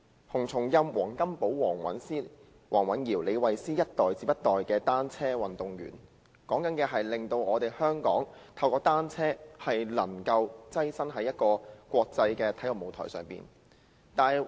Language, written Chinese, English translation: Cantonese, 洪松蔭、黃金寶、黃蘊瑤、李慧詩，一代接一代的單車運動員，令香港透過單車躋身國際體育舞台。, From HUNG Chung - yam WONG Kam - po WONG Wan - yiu to Sarah LEE cyclist athletes one generation after another have brought Hong Kong to the centre stage in the international sports arena